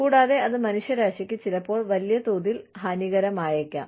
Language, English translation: Malayalam, And, that can be detrimental to humanity, at large, sometimes